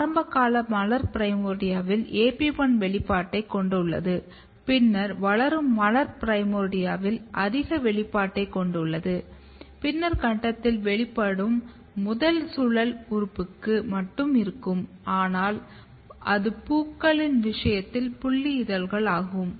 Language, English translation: Tamil, So, you can see that in the very early floral primordia you have AP1 expression then at the developing floral primordia you have a high level of expression at the later stage the expression is restricted to the first whorl organ which in case of flowers is sepals